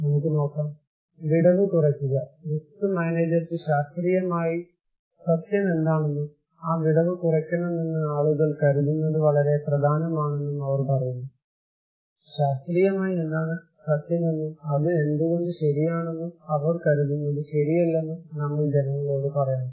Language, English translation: Malayalam, Let us look, reducing the gap; they are saying that it is very important for the risk manager that what scientifically true, and what people think we should reduce that gap, we should tell people that what is scientifically true and why it is true, what they think is not right